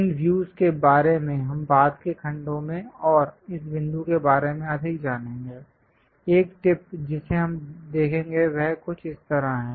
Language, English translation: Hindi, We will learn more about these views in later part of the sections and this point, tip we will see it is something like that